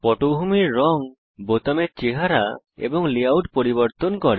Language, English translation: Bengali, Changes the background colors, the look of the buttons and the layout